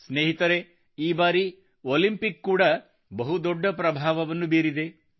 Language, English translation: Kannada, this time, the Olympics have created a major impact